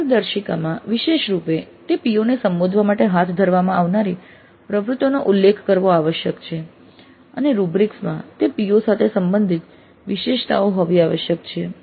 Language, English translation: Gujarati, The guidelines must specifically mention the activities to be carried out in order to address those POs and the rubrics must have attributes related to those POs